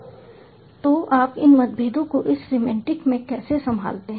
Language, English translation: Hindi, how do you handle differences in semantics